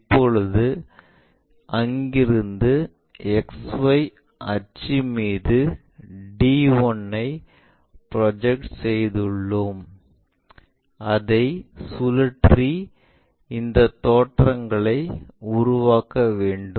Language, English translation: Tamil, Now, we have projected d 1 onto axis XY from there we have to rotate it to construct this views